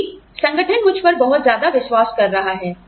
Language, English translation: Hindi, Because, the organization is trusting me, so much